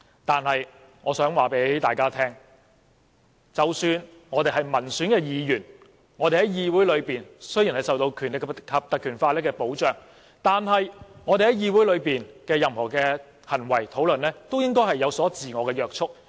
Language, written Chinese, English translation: Cantonese, 但是，我想告訴大家，即使我們是民選議員，在議會裏雖然受到《立法會條例》的保障，但我們在議會裏所有的行為和討論，也應該受到自我約束。, However I would like to say that even for Members returned by popular elections and protected by the Legislative Council Ordinance our behaviour and discussions inside the Council should be subject to self - restraint